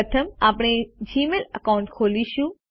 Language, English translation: Gujarati, First we open the Gmail account